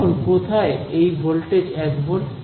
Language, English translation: Bengali, Where all is the voltage one volt